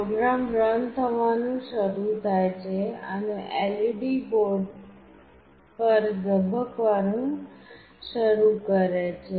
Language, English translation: Gujarati, The program starts running and the LED starts blinking on the board